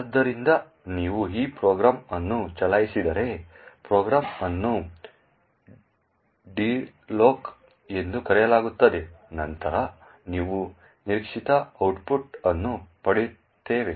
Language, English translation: Kannada, So, if you run this program, the program is called dreloc then we would get expected output